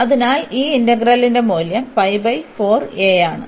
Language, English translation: Malayalam, So, that is the value of the integral